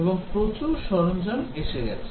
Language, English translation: Bengali, And also lot of tools has come up